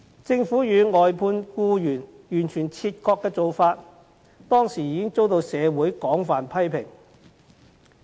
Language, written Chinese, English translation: Cantonese, 政府與外判僱員完全切割的做法，當時已遭社會廣泛批評。, That the Government had completely detached itself from the employees of outsourced services was criticized extensively by the community at that time